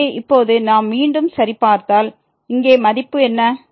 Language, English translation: Tamil, So, now if we check again what is the value here